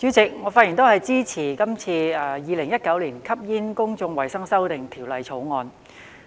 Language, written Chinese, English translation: Cantonese, 主席，我發言支持《2019年吸煙條例草案》。, President I speak in support of the Smoking Amendment Bill 2019 the Bill